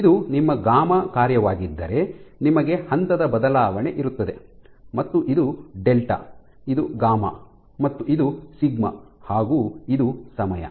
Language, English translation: Kannada, If this is your gamma function you have a phase shift this is what delta is, this is gamma and this is sigma this is time